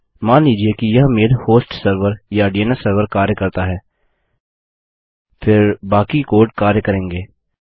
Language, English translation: Hindi, Presuming this mail host server or DNS server works, then the rest of the code will work